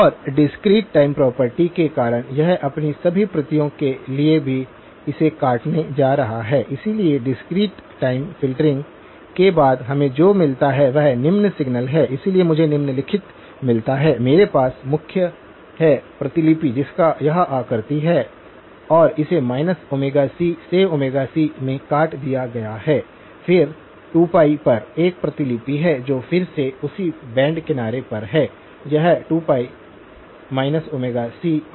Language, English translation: Hindi, And because of the discrete time property, it is going to cut it off for all of its copies as well, so what we get as after the discrete time filtering has happen is the following signal, so I get the following, I have the main copy which has this shape and this has been cut off at minus omega c to omega c; minus omega c to omega c , then at 2pi, there is a copy which is again at the same band edges this is 2pi minus omega c, 2pi plus omega c